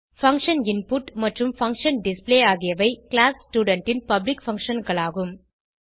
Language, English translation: Tamil, Function input and function display are the public functions of class student